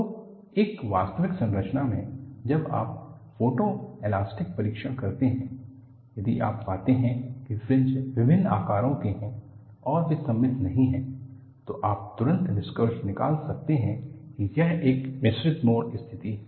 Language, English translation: Hindi, So, in an actual structure, when you do a photo elastic testing, if you find the fringes are of different sizes and they are not symmetrical, you can immediately conclude that, this is a mixed mode situation